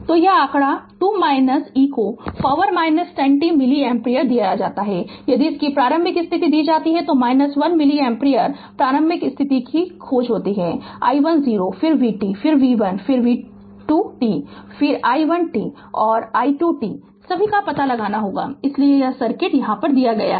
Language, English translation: Hindi, That this figure i t is given 2 minus e to the power minus 10 t milli ampere if initial condition of i t is given minus 1 milli ampere find initial conditions i1 0 then v t then v 1 then v 2 t then i 1 t and i 2 t all you have to find it out right, so this is the circuit is given